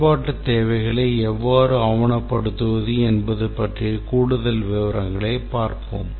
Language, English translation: Tamil, We will look at more details of how to document the functional requirements